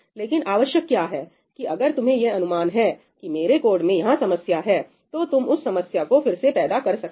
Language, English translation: Hindi, But what is important is that if you have a hunch that this is where the problem is in my code, you are able to reproduce that problem